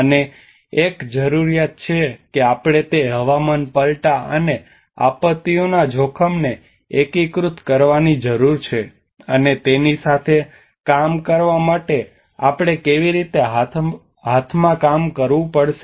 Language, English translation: Gujarati, And there is a need that we need to integrate that climate change and the disaster risk and how we have to work in hand in hand to work with it